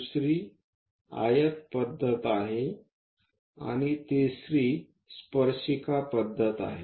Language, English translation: Marathi, Second one is rectangle method, and the third one is tangent method